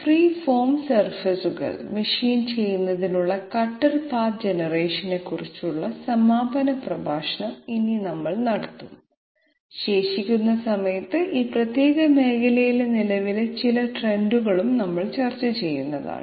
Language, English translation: Malayalam, So today we will have the concluding lecture on cutter path generation for machining free form surfaces and in the remaining time we will discuss some of the current trends in this particular area